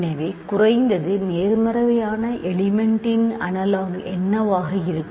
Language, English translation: Tamil, So, what would be the analogue of least positive element